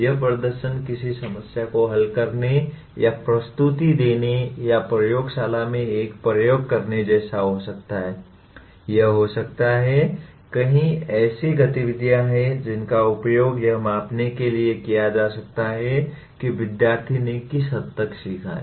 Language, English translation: Hindi, This performance could be like solving a problem or making a presentation or performing an experiment in the laboratory, it can be, there are many such activities which can be used to measure to what extent a student has learnt